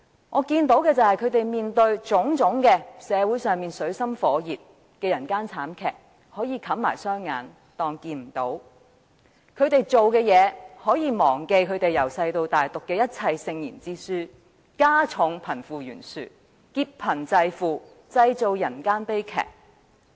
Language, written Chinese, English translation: Cantonese, 我看到的是，他們面對社會上種種水深火熱、人間慘劇，可以視而不見；他們可以忘記從小到大讀過的聖賢之書，所做的一切只會加重貧富懸殊，劫貧濟富，製造人間悲劇。, These people can turn a blind eye to all the miseries and human tragedies in society . They can forget the teachings of the sages and men of virtues they have learnt since childhood and implement measures what will widen the wealth gap exploit the poor to subsidize the rich and create human tragedies